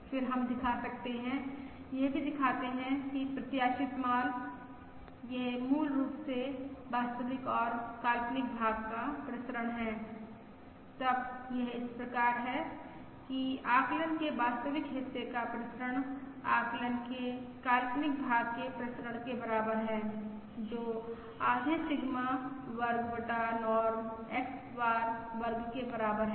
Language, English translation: Hindi, then it follows that variance of real part of estimate is equal to the is equal to the variance of imaginary, imaginary part of the estimate, which is equal to half Sigma square divided by Norm X bar square